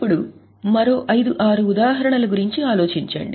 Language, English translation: Telugu, Now think of another 5 6 examples